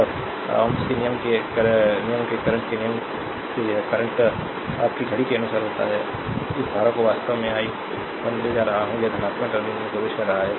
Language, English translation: Hindi, And by ohms' law, by ohms law this current is a your clock clock wise we are taking this current actually i 1, it is entering into the positive terminal